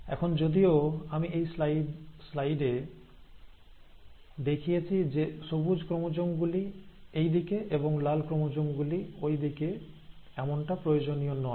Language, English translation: Bengali, So right now, though I have shown in this slide, green chromosomes on this side and the red chromosomes on that side, it is not necessary